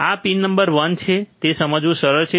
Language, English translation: Gujarati, This is pin number one, it is easy to understand